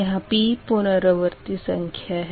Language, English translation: Hindi, p means iteration count